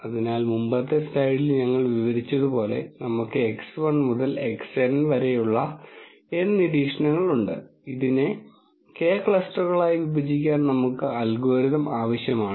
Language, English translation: Malayalam, So, as we described in the previous slide there are N observations x 1 to x N and we are asking the algorithm to partition this into K clusters